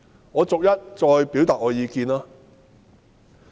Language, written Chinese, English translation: Cantonese, 我逐一表達我的意見。, I will express my points of view one by one